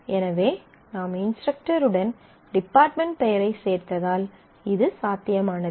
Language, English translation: Tamil, So, if you just include the department name with the instructor